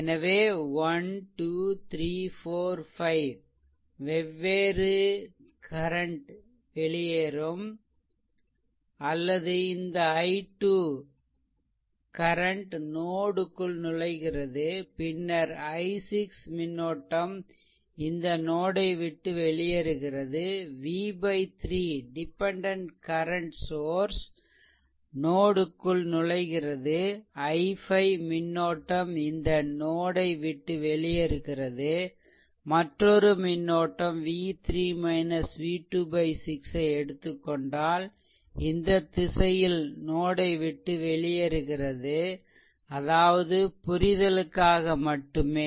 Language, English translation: Tamil, So, 1 2 3 4 5 5 different currents will either leave or will this thing this i 2 current is entering into the node, then i 6 current leaving this node, v by 3 dependent source are entering into the node, i 5 current leaving this node, another current that is if you take v 3 minus v 2 by 6 also in this direction leaving the node right so; that means, that means just for your understanding